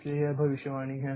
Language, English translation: Hindi, So, that is the prediction